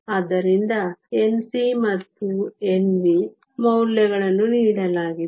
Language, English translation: Kannada, So, the N c and N v values are given